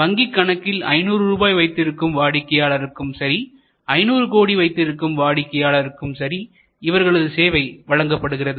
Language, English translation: Tamil, They serve a customer who has only 500 rupees deposit and they serve a customer who has 500 crores of deposit